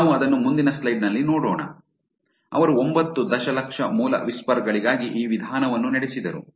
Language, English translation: Kannada, We will see it in the next slide, they ran this methods for 9 million original whispers